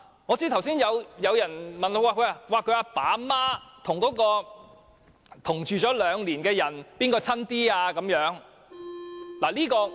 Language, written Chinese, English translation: Cantonese, 我知道剛才有人問，死者的父母與曾和死者同住兩年的人比較，誰比較親近呢？, I know that just now someone asked whether the parents of the deceased or the person who has lived with the deceased for two years is closer